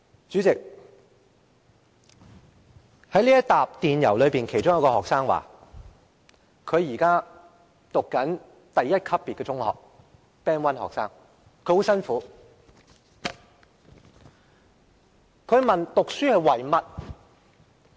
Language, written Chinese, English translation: Cantonese, 主席，在這些電郵中，其中一個學生表示自己正就讀第一級別的中學，即他是 "Band 1學生"。, President among the emails I have received there is one from a student who is studying in a Band 1 school meaning that he is a Band 1 student